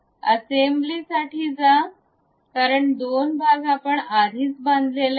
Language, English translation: Marathi, Now, go for assembly, because parts we have already constructed